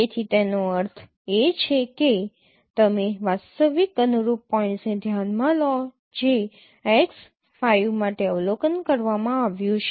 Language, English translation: Gujarati, So that means you consider the actual corresponding points which has been observed for x5